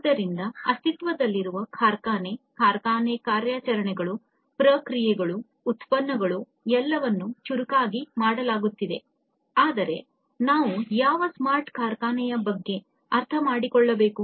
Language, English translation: Kannada, So, existing factory, factory operation, their operations, processes, products everything being made smarter, but then we need to understand that what smart factory is all about